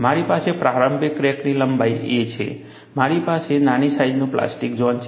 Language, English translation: Gujarati, I have a initial crack length a; I have a small size of the plastic zone, then I have a overload